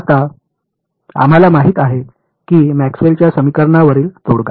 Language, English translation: Marathi, Now we know that the solution to Maxwell’s equation